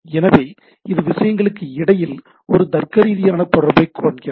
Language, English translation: Tamil, So, it has a it finds a logical connection between the things